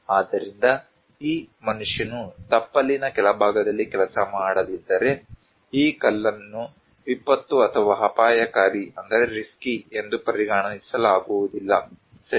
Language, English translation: Kannada, So, if this human being is not working there in the down at the foothills, then this stone is not considered to be disaster or risky right